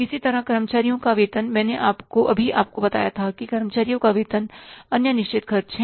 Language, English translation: Hindi, I just told you that the salaries of the employees are the other fixed expenses